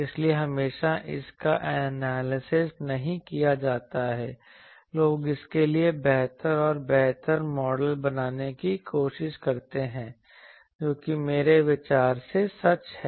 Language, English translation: Hindi, So, that is why always it is not analyzable people try to have better and better models for that that is true for anyway I think